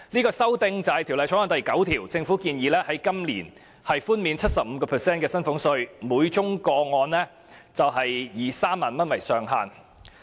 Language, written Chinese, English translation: Cantonese, 根據《條例草案》第9條，政府建議今年寬減 75% 的薪俸稅等，每宗個案以3萬元為上限。, According to clause 9 of the Bill the Government proposes to reduce the salaries tax by 75 % for this year subject to a ceiling of 30,000 per case